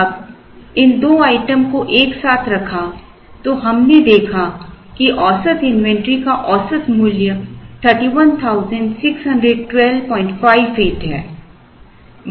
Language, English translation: Hindi, Now, these two items put together we observed that the average money value of the average inventory is 31,612